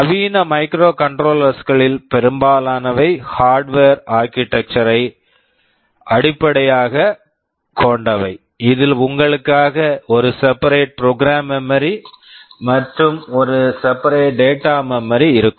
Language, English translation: Tamil, Most of the modern microcontrollers are based on the Harvard architecture, where you will be having a separate program memory and a separate data memory